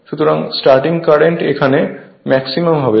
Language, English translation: Bengali, So, at start current will be higher right